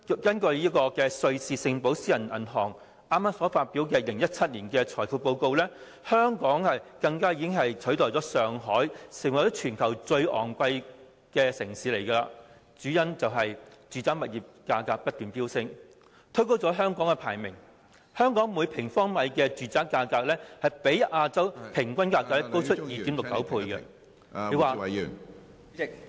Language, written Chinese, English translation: Cantonese, 根據瑞士寶盛私人銀行剛發表的2017年《財富報告：亞洲》，香港已取代上海成為最昂貴城市，住宅物業價格不斷飆升，推高了香港的排名，香港每平方米住宅價格比亞洲平均價格高 2.69 倍......, According to the Wealth Report Asia 2017 recently published by a Swiss private bank Julius BaerHong Kong has replaced Shanghai as the most expensive city . The continued rise in residential property prices has pushed Hong Kongs ranking up . Hong Kongs per - square - metre property price is 2.69 times higher than the Asian average